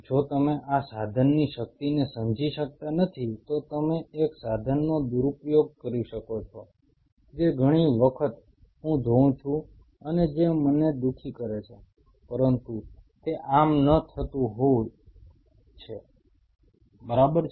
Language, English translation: Gujarati, If you do not understand the power of this tool you can misuse a tool which many a times I see and which saddens me, but that is how it is ok